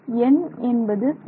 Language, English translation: Tamil, Should it be n